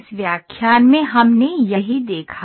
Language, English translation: Hindi, This is what we saw in this lecture